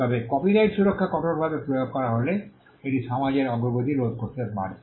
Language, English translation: Bengali, However, if copyright protection is applied rigidly it could hamper progress of the society